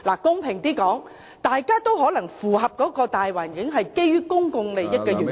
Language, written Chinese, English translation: Cantonese, 公平地說，大家都可能符合這個大環境，是基於公眾利益的緣故......, To be fair the two sides may both be qualified for a pardon in view of public interests under the general political climate